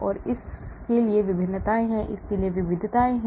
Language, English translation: Hindi, and there are variations to this, there are variations to this